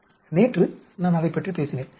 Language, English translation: Tamil, Yesterday I talked about it